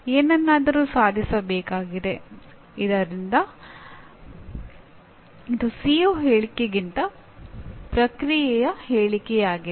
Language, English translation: Kannada, A something needs to be attained, so this is a process statement rather than a CO statement